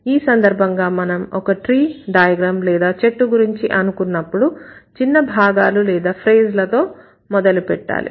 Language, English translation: Telugu, So, in this case, when you draw a tree or when you think about a tree, you have to start it with the tiny chunks or the small phrases